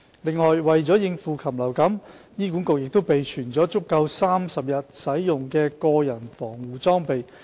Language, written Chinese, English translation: Cantonese, 此外，為應對禽流感，醫院亦備存足夠30天使用的個人防護裝備。, Moreover to tackle avian influenza all hospitals have maintained a stockpile of protective personal equipment sufficient for 30 - day use